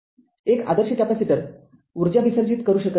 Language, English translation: Marathi, Since an ideal capacitor cannot dissipate energy right